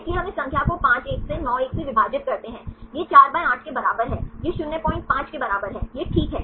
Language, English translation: Hindi, So, we get this numbers 5 1 divided by 9 1, this equal to 4/8; this equal to 0